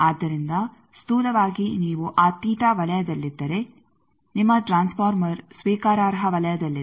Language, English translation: Kannada, So, roughly if you stay within that theta zone then your transformer is within the acceptable zone